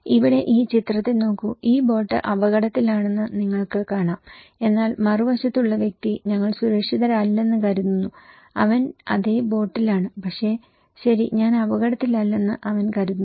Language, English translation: Malayalam, Here, look into this in this picture okay, you can see this boat is at risk but the person in the other end thinks that we are not safe, he is in the same boat, but he thinks that okay I am not at risk because the hole is not at my side, is in the other end